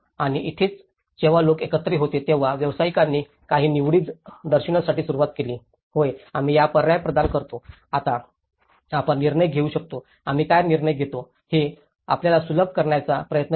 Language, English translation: Marathi, And this is where the time where people have some professional minds come together, they started showing some choices, yes, we provide this option, now you can decide, we try to facilitate you know what they decide